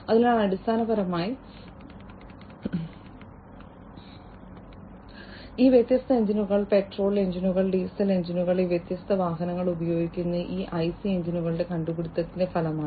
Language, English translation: Malayalam, So, basically all these different engines the petrol engines, the diesel engines, that these different vehicles use are a result of the invention of these IC engines